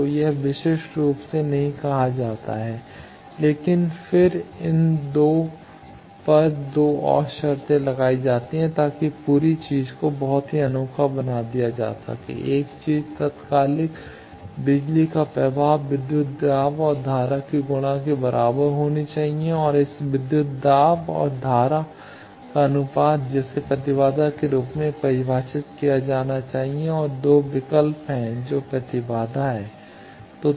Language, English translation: Hindi, So, this is not uniquely said, but then 2 more conditions are imposed on these 2 to make the whole thing very unique that one thing is a instantaneous power flow should be equal to the product of voltage and current and the ratio of this voltage and current that should be defined as an impedance and there are 2 choices that impedance